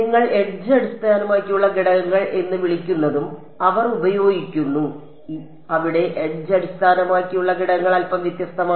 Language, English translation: Malayalam, They also use what you call edge based elements, there edge based elements are slightly different